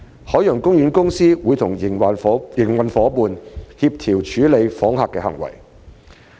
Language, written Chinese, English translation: Cantonese, 海洋公園公司會與營運夥伴協調處理訪客的行為。, OPC will coordinate with its operating partners on the handling of conduct of visitors